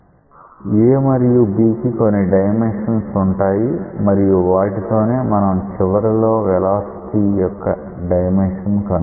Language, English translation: Telugu, And so, a has a and b have certain dimensions with adjust these so, that you get the dimensions of velocities at the end